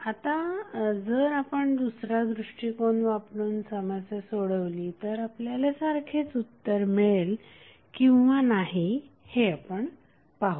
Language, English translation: Marathi, Now, if you solve this problem using different approach whether the same solution would be obtained or not let us see